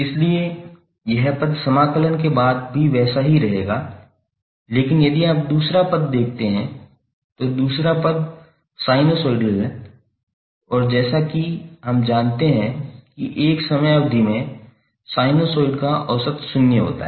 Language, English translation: Hindi, So this term will remain same as it is after integration but if you see the second term second term is sinusoid and as we know that the average of sinusoid over a time period is zero